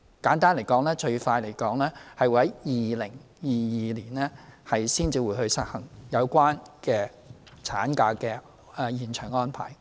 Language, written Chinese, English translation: Cantonese, 簡單而言，最快在2022年才會實行有關產假的延長安排。, In brief the arrangement to extend maternity leave will only be effective in 2022 at the earliest